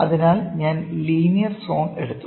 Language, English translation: Malayalam, So, I have taken the linear zone